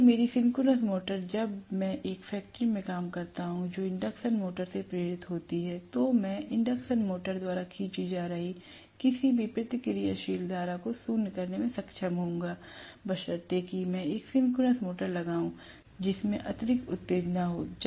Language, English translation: Hindi, So, my synchronous motor, when I employ in a factory which is insisted with induction motors, I would be able to nullify any reactive current that are being drawn by the induction motor, provided I put a synchronous motor which is having excess excitation